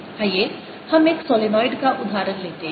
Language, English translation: Hindi, let's take that example of a solenoid